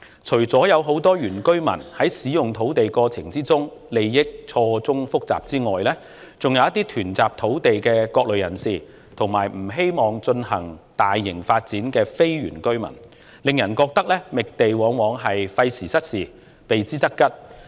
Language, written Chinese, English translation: Cantonese, 除了很多原居民在使用土地的過程中利益錯綜複雜外，還涉及囤集土地的各類人士，以及不希望進行大型發展的非原居民，令人覺得覓地往往費時失事，避之則吉。, Apart from the intricate web of interests involved in the use of land by many indigenous residents various types of people hoarding land and non - indigenous villagers not wishing to see any large - scale development are also involved . It is therefore felt that finding land is often a time - consuming business getting nowhere that should best be avoided